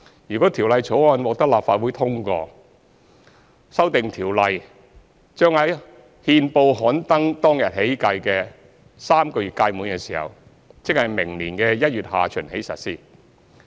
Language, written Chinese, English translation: Cantonese, 如《條例草案》獲得立法會通過，修訂條例將在憲報刊登當日起計的3個月屆滿時，即明年1月下旬起實施。, Subject to the passage of the Bill by the Legislative Council the Amendment Ordinance should come into operation on the expiry of three months beginning on the day on which it is published in the Gazette ie . from late January next year